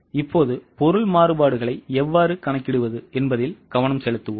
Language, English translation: Tamil, Now let us concentrate on how to calculate material variances